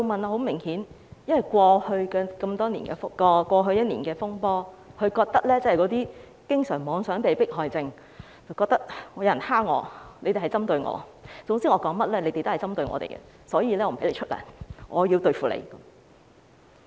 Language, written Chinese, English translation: Cantonese, 很明顯是因為在過去一年的風波中，"經常妄想被迫害症"令他認為有人欺負他、針對他，總之說甚麼都是針對他，所以便不發薪給他們，要對付他們。, Obviously it is because during the storm over the past year his persistent delusional persecution deluded him into believing that he was being bullied and targeted against and people were acting against him no matter what they said . As such he has to deal with them by not paying their salaries